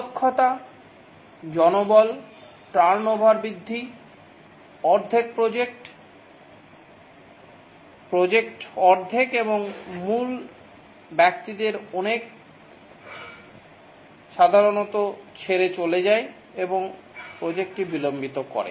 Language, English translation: Bengali, Increasing skill shortage, manpower turnover, halfway the project, the project is halfway and many of the key persons live is quite common and that delays the project